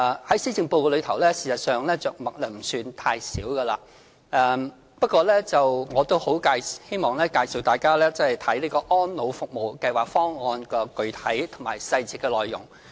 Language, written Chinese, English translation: Cantonese, 在施政報告中，事實上，這方面着墨不算太少，不過，我希望大家看看《安老服務計劃方案》的具體細節內容。, Actually elderly care is mentioned at great lengths in the Policy Address . I hope Members can examine the contents of the specific details of the Elderly Services Programme Plan